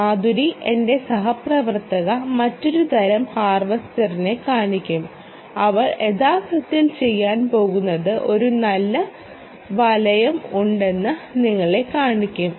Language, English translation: Malayalam, ah, madhuri, my colleague here, we will actually demonstrate another type of harvester and what she is actually going to do is: ah, you will see that there is a nice enclosure